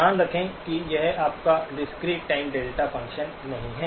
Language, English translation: Hindi, Keep in mind that this is not your discrete time delta function